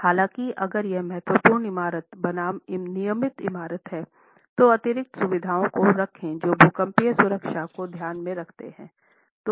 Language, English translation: Hindi, However, if it is a regular building versus an important building, do put in place additional features that takes into account seismic safety